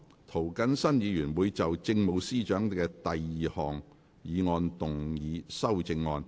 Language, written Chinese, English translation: Cantonese, 涂謹申議員會就政務司司長的第二項議案動議修訂議案。, Mr James TO will move an amending motion to amend the Chief Secretary for Administrations second motion